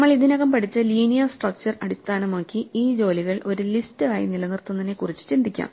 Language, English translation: Malayalam, Based on linear structures that we already studied, we can think of maintaining these jobs just as a list